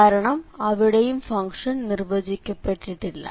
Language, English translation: Malayalam, So, that is also the function is not defined